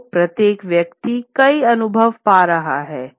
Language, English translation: Hindi, So, each person gets in road to multiple experiences